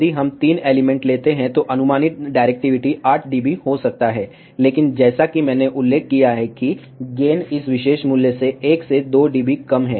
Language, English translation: Hindi, If we take three elements, approximate directivity can be 8 dB, but as I mentioned gain is 1 to 2 dB less than this particular value